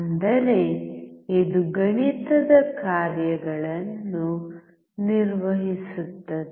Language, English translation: Kannada, That means, it can perform mathematical functions